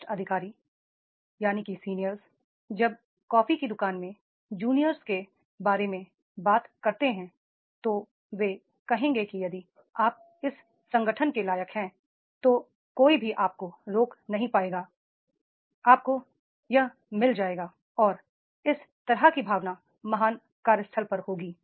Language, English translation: Hindi, The seniors when they talk about the juniors in the coffee shops, then they will say if you are deserving in this organization, nobody will stop you, you will get it and that type of filling will be there at the great workplace is there